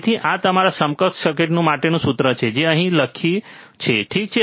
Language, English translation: Gujarati, So, this is what is the formula for your equivalent circuit which we have written here, alright